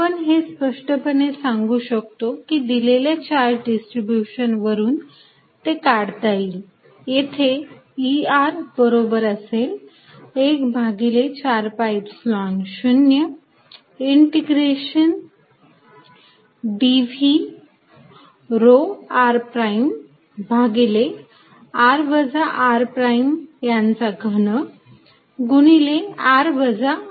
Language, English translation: Marathi, One is obviously going to say that given a charge distribution, I am just going to do this E at r is going to be 1 over 4 pi Epsilon 0 integration dv rho r prime over r minus r prime r minus r prime cubed here